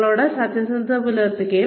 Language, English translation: Malayalam, Be honest to yourself